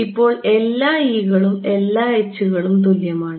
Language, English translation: Malayalam, Now, all the e’s are equal to all the h’s